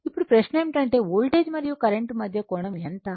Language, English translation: Telugu, Now, question is there what is the angle between the voltage and current